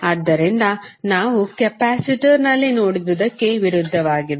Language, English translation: Kannada, So, opposite to what we saw in the capacitor